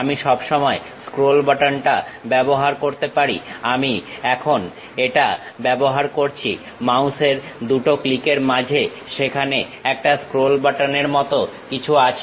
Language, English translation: Bengali, I can always use scroll button, right now I am using in between these 2 mouse clicks there is something like a scroll button